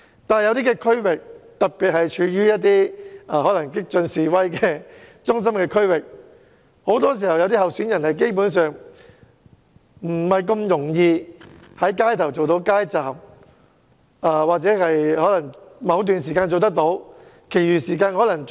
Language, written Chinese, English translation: Cantonese, 但在有些選區，特別是激進示威的中心區域，候選人很多時候基本上不太容易在街道上擺設街站，或許只能在某段時間擺設，而其餘時間則不可。, However in some constituencies particularly in major districts where radical protests have taken place candidates would often find it hard to set up street booths or they could only set up street booths at a certain period of time